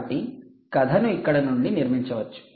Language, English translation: Telugu, so this: i can build the story from here